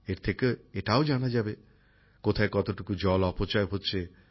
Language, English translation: Bengali, From this it will also be ascertained where and how much water is being wasted